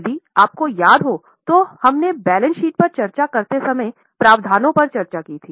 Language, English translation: Hindi, If you remember, we have discussed provisions when we discuss the balance sheet